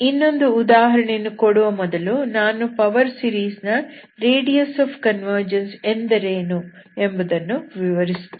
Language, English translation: Kannada, So I will just explain, before I go for another example, I will just explain what is the radius of convergence of a power series